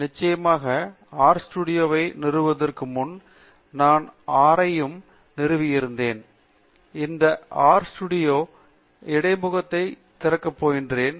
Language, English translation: Tamil, Of course, before installing R studio, I have installed R as well and I am going to open this R studio interface